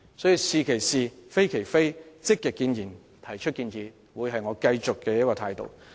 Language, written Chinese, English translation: Cantonese, 因此，"是其是，非其非"、積極建言和提出建議將會是我繼續保持的態度。, Therefore I will continue to adopt the attitude of saying what is right as right and denouncing what is wrong as wrong actively expressing views and making suggestions